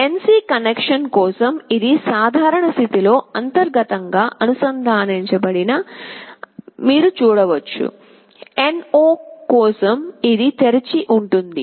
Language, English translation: Telugu, You see for the NC connection it is internally connected in the normal state, but for NO it is open